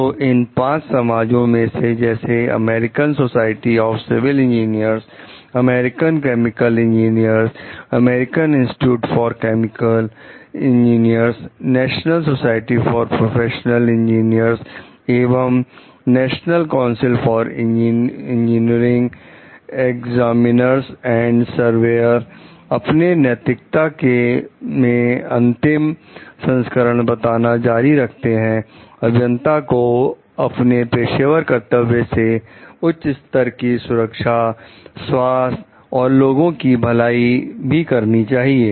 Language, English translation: Hindi, So, like 5 of these societies like American Society of Civil Engineers, American Society of Mechanical Engineers, American Institute for Chemical Engineers, National Society of Professional Engineers and National Council for Engineering Examiners and Surveyors, continue to say in the latest version of their course of ethics; like engineers in the fulfillment of their professional duties shall hold paramount the safety, health and welfare of the public